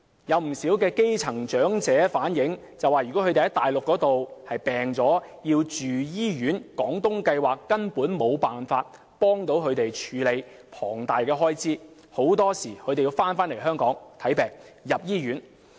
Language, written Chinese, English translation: Cantonese, 有不少基層長者反映，如果他們在內地生病要住院，廣東計劃根本無法協助他們負擔龐大的住院開支，他們往往要返回香港就醫或住院。, Many grass - root elderly persons told us that when they were sick and had to be hospitalized the Guangdong Scheme could in no way help them pay for the huge medical bills . Very often they are impelled to return to Hong Kong for treatment or hospitalization